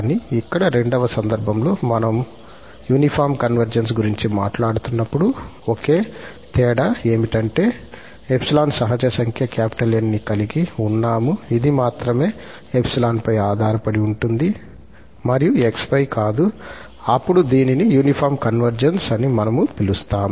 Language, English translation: Telugu, But here, in the second case, when we are talking about the uniform convergence, the only difference is that if there exists a natural number N which depends only on epsilon and not on x, then we call that this is a uniform convergence